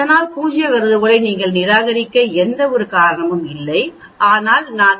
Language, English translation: Tamil, So there is no reason for you to reject the null hypothesis, but if I take t value the minus 0